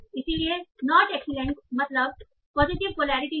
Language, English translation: Hindi, So not excellent means something in the positive polarity